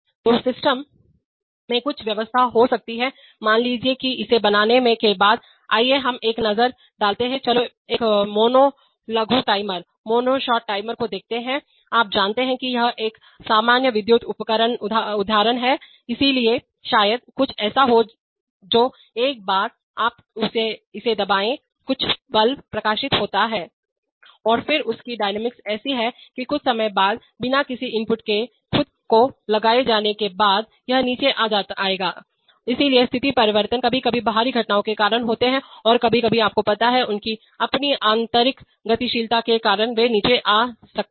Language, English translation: Hindi, So there may be some arrangement in the system by which, suppose after it is made on, let us look at a, let's look at a mono short timer, you know he is a common electrical examples, so there maybe something that once you press it some bulb glows up and then its dynamics is such that, that again after some time by itself without any input being applied it will come down, so state changes are sometimes caused by external events and sometimes caused because of you know, their own internal dynamics they might come down